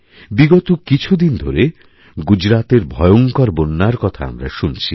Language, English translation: Bengali, Gujarat saw devastating floods recently